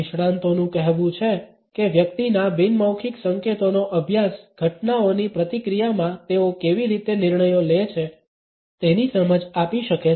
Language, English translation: Gujarati, Expert says study in a person’s nonverbal cues can offer insight into how they make decisions in react to events